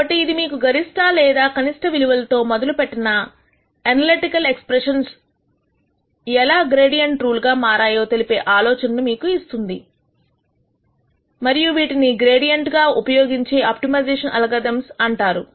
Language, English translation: Telugu, So, this gives you an idea of how the analytical expression that we started with for maximum or minimum is converted into a gradient rule and these are all called as gradient based optimization algorithms